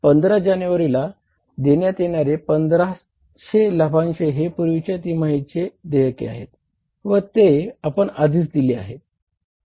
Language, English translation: Marathi, This dividend of 1,500 was paid for the previous quarter which was due on the 15th of January